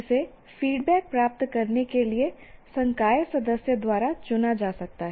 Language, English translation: Hindi, This can be chosen by the faculty member to get the kind of feedback